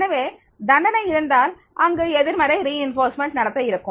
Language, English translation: Tamil, So, if the punishment is there, then there will be the negative reinforcement behavior